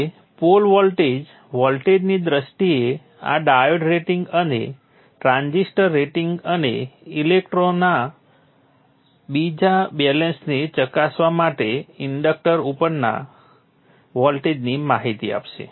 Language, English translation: Gujarati, Now the pole voltage will give information on this diodere rating in terms of voltage and the rating of the transistor and also the voltage across the inductor to check for the volt second balance